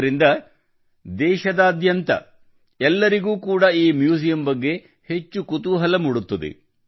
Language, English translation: Kannada, This will enhance interest in the museum among people all over the country